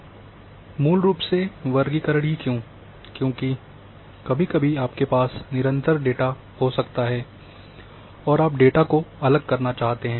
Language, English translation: Hindi, And why basically in classification, because sometimes you might be having continuous data and you want to discretize the data